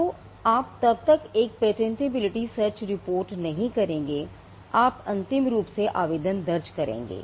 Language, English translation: Hindi, So, you would not then get into a patentability search report you would rather file a provisional